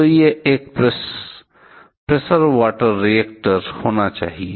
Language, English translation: Hindi, So, it has to be a pressure water reactor